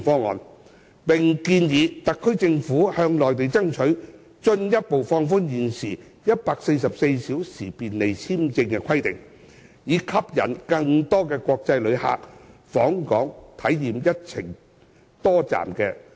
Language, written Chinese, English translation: Cantonese, 我們又建議特區政府向內地爭取進一步放寬現時144小時便利簽證的規定，以吸引更多國際旅客訪港，體驗一程多站的旅程。, We also propose that the SAR Government should strive to further relax the existing 144 - hour Convenient Visa requirement with the Mainland to attract more international visitors to Hong Kong for multi - destination itinerary experiences